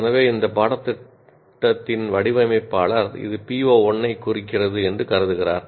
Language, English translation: Tamil, So the designer of this course considers this addresses PO 1